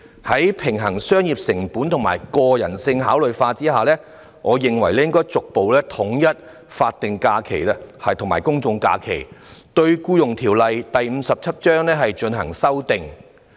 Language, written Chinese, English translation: Cantonese, 在平衡商業成本及人性化考量後，我認為應逐步統一法定假日及公眾假期，對《僱傭條例》作出修訂。, After balancing the commercial costs against humane considerations I think the Employment Ordinance Cap . 57 should be amended to gradually to align statutory holidays with general holidays